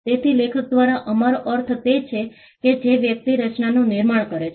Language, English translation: Gujarati, So, author by author we mean the person who creates the work